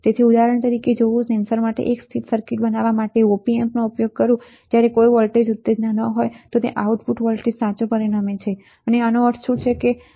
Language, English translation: Gujarati, So, for example, if I use an op amp for designing a single condition circuit for a sensor, when no stimulus, it results in an output voltage correct that what does this mean, what does the above sentence means